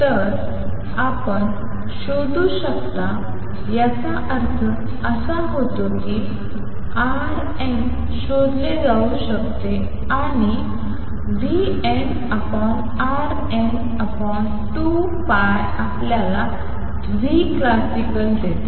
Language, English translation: Marathi, So, you can find implies this implies that r n can be found and v n by r n divided by 2 pi gives you nu classical